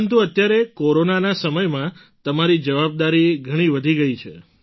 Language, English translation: Gujarati, But during these Corona times, your responsibilities have increased a lot